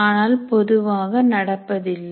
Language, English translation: Tamil, But normally that is not done